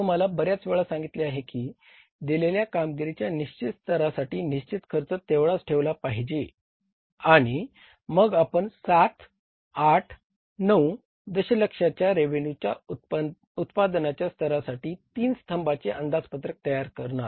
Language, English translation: Marathi, I told you many times that the fixed cost should remain fixed for the given level of performance and then we prepared that say columnar budget, three columnar budget for 7, 8 and 9 million level of the revenue and productions